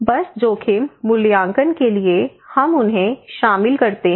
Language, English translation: Hindi, So just for the risk assessment we involve them